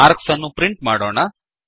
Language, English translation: Kannada, We shall print the marks